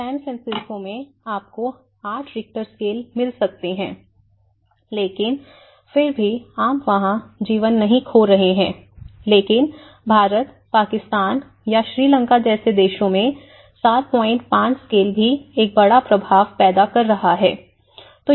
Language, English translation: Hindi, In San Francisco, you are getting eight Richter scale but still, you are not losing lives over there but in India countries like India or Pakistan or Sri Lanka even a 7